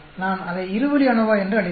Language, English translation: Tamil, I will call it two way ANOVA